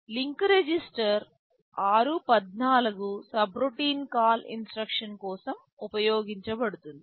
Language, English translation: Telugu, Link register is r14 used for subroutine call instruction